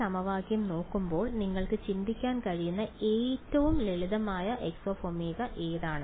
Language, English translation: Malayalam, So, looking at this equation what is the simplest X omega you can think off